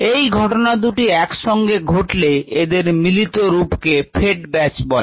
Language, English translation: Bengali, any other combination is called a fed batch